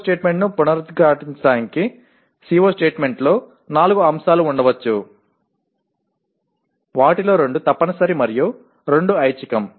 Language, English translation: Telugu, Again to reiterate the CO statement can have four elements out of which two are compulsory and two are optional